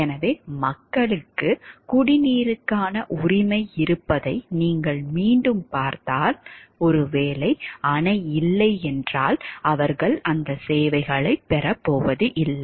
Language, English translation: Tamil, So, again if you see the people do have the right to drinking water and if maybe, so that if the dam is not there then they are not going to get those services